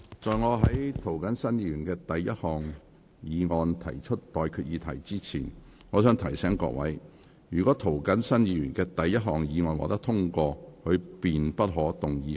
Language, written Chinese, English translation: Cantonese, 在我就涂謹申議員的第一項議案提出待決議題之前，我想提醒各位，若涂謹申議員的第一項議案獲得通過，他便不可動議他的第二項議案。, Before I put to you the question on Mr James TOs first motion I wish to remind Members that if Mr James TOs first motion has been passed he may not move his second motion